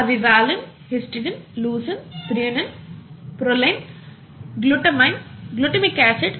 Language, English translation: Telugu, Some of these are given here, valine, histidine, leucine, threonine, proline, glutamine, glutamic acid glutamic acid, okay